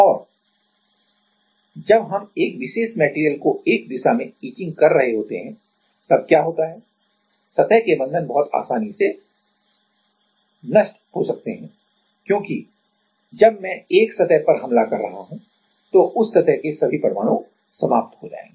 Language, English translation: Hindi, And while we are etching some while we are etching one particular material in one direction then, what happens is; the surface bonds very easily surface bonds very easily can get destroyed because, while I am attacking a surface then all the atoms in that surface will get destroyed